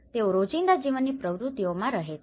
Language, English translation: Gujarati, They are prone to the daily life activities